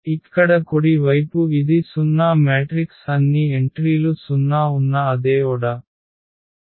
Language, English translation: Telugu, So, here the right hand side this is a 0 matrix so, the same order having all the entries 0